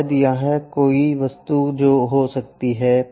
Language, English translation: Hindi, Perhaps there might be an object here